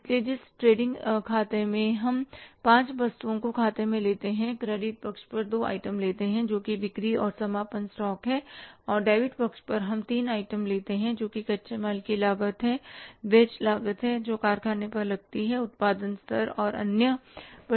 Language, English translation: Hindi, On the credit side we take two items that is a sales and closing stock and on the debit side we take three items that is the raw material cost, wages cost that is incurred at the factory level, production level and the other direct expenses